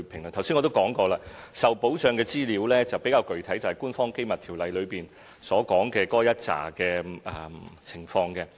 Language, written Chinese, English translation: Cantonese, 我剛才也說過，受保障的資料比較具體，就是《條例》所列的一系列情況。, As pointed out by me just now there is a specific scope of protected information listed under the Ordinance